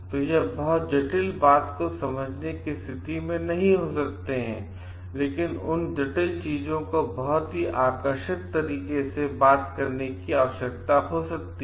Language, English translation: Hindi, So, they may not be in a position to understand very complex thing, but that complex things may need to be spoken to them in a very lucid way